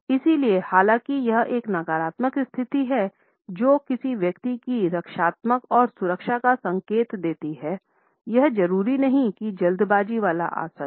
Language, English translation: Hindi, So, though this is a negative position indicating a defensive and in security of a person; it is not necessarily a hurried posture